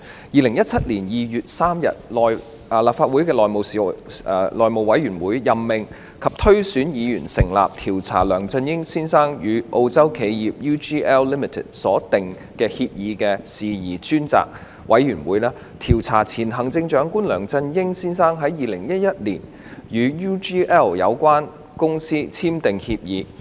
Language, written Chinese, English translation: Cantonese, 2017年2月3日，立法會內務委員會任命及推選議員成立調查梁振英先生與澳洲企業 UGL Limited 所訂協議的事宜專責委員會，調查前行政長官梁振英先生在2011年與 UGL Limited 簽訂協議的事宜。, On 3 February 2017 the House Committee of the Legislative Council LegCo nominated and elected Members for appointment to the Select Committee to Inquire into Matters about the Agreement between Mr LEUNG Chun - ying and the Australian firm UGL Limited which was tasked to investigate into matters concerning an agreement signed between Mr LEUNG Chun - ying the former Chief Executive and UGL Limited UGL in 2011